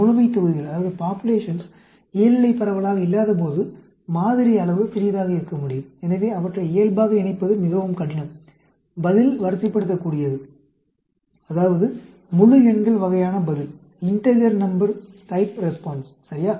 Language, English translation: Tamil, When the populations are not normally distributed, the sample size could be small, so, it is very difficult to assemble them as a normal, response is ordinal, that means, integer numbers type response, ok